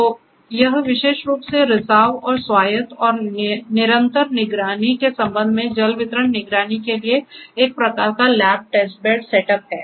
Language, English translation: Hindi, So, this is a kind of lab test bed setup for water distribution monitoring particularly with respect to leakage and autonomous and continuous monitoring and so on